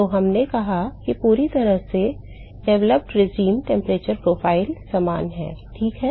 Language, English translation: Hindi, So, we said fully developed regime temperature profile is similar ok